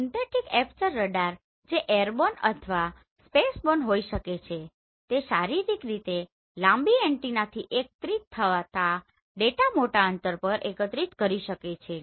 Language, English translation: Gujarati, Synthetic aperture radar which can be airborne or spaceborne could collect data over a large distance as it is collected from physically long antenna